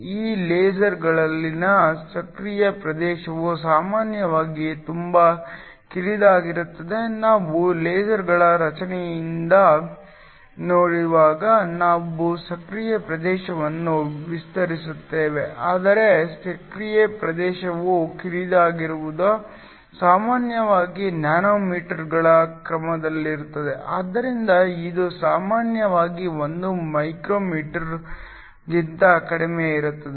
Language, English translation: Kannada, The active region in these lasers is usually very narrow, we will define an active region later when we look at the structure of lasers but the active region is narrow is usually of the order of nanometers so it is usually less than 1 micrometer